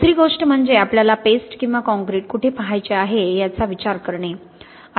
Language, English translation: Marathi, The second thing is to consider where we want to look at paste or concrete